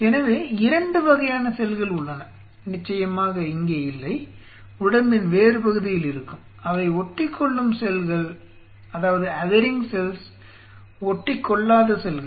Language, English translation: Tamil, There are 2 kind of cells; Cells which are not here of course they are other parts of what they have, they are Adhering cell and Non Adhering cells which cells are we culturing